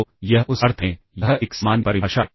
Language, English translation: Hindi, So, this in that sense, this is a general definition